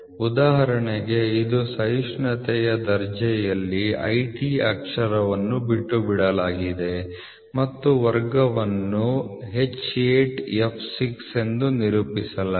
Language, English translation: Kannada, So for example, it is IT in the tolerance grade the letter IT are omitted and the class is represented as H8 f 6 you can represent see